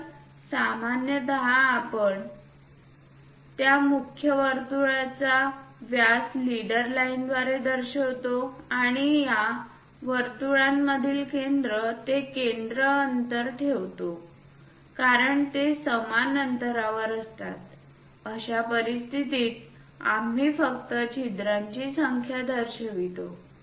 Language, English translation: Marathi, So, usually we represent that main circle diameter through leader line and also center to center distance between these circles because they are uniformly spaced in that case we just represent number of holes